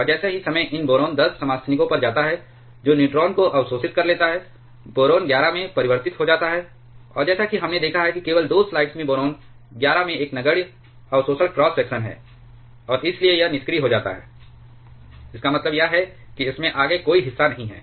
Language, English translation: Hindi, And as time goes on these boron 10 isotopes that absorbs neutron gets converted to boron 11, and as we have seen just 2 slides back boron 11 has a negligible absorption cross section, and therefore, it becomes a dormant, means it does not take any further part in this